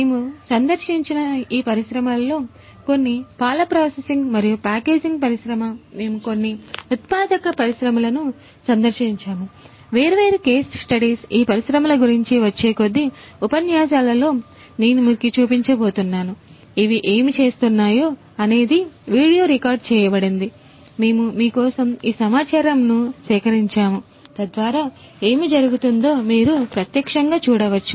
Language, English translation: Telugu, So, some of these industries that we have visited are the milk processing and packaging industry, we have visited some manufacturing industries different case studies I am going to show you in the next few lectures about all these industries, what they are doing we have video recorded, we have collected these data for you so that you can see live what is going on